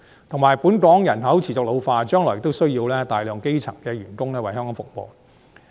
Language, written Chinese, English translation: Cantonese, 同時，本港人口持續老化，將來亦需要大量基層員工為香港服務。, At the same time due to the persistent ageing of Hong Kongs population we will need large numbers of elementary workers to provide services in Hong Kong in the future